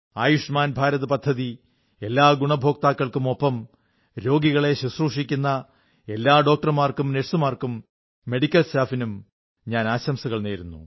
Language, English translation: Malayalam, I congratulate not only the beneficiaries of 'Ayushman Bharat' but also all the doctors, nurses and medical staff who treated patients under this scheme